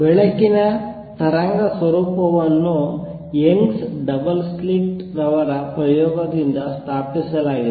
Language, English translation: Kannada, The wave nature of light was established by Young’s double slit experiment